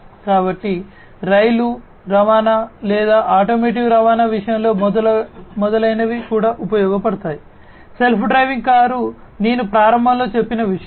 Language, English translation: Telugu, So, in the case of rail transportation or automotive transportation, etcetera AI is also used, self driving car is something that I mentioned at the outset